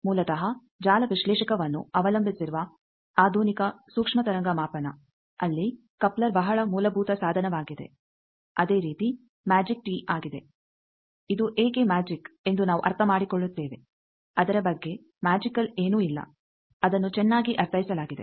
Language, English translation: Kannada, Basically the modern microwave measurement which depends on network analyzer, there this coupler is very fundamental device similarly magic tee is propertive, why it is magic we will understand there is nothing magical about it, it is well understood